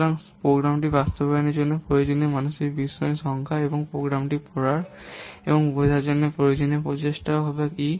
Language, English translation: Bengali, So normally, e is the number of mental discriminations required to implement the program and also the effort required to read and understand the program